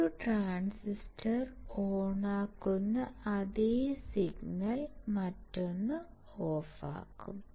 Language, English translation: Malayalam, The same signal which turns on 1 transistor will turn off the another one